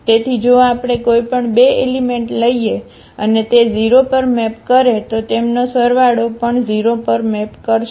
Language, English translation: Gujarati, So, if we take any 2 elements and they map to the 0, so, their sum will also map to the 0